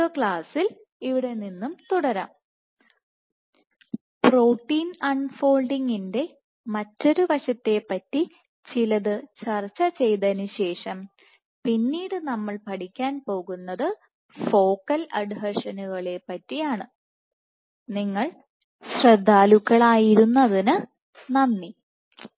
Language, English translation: Malayalam, In the next class will continue from here, discuss little bit more about one more aspect about protein unfolding, and then we will go on to study focal adhesions